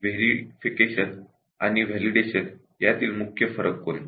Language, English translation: Marathi, What are the main differences between Verification and Validation